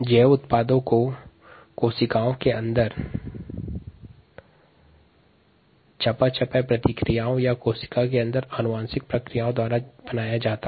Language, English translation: Hindi, the bio products could be made by the metabolic reactions inside the cells or the genetic processes inside the cells